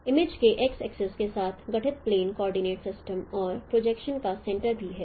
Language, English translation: Hindi, The plane formed with x axis of image coordinate system and also the center, center of projection